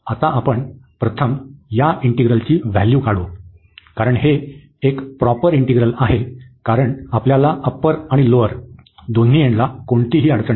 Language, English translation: Marathi, Now, we will evaluate first this integral, because it is a proper integral we have no problem at the lower end and also at the upper end